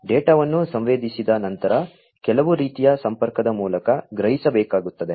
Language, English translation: Kannada, So, after sensing the data will have to be sensed over some kind of connectivity